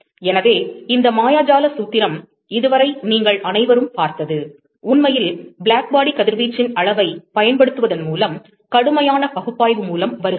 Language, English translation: Tamil, So, this magical formula, that all of you have seen so far, actually comes from a rigorous analysis, by using the quantification of Blackbody radiation